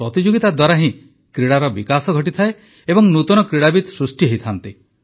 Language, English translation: Odia, It is only through competition that a sport evolves…progresses…giving rise to sportspersons as an outcome